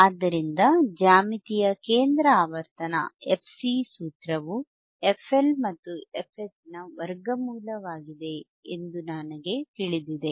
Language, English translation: Kannada, So, geometric center frequency;, we know the formula f C is nothing but square root of f L into f H right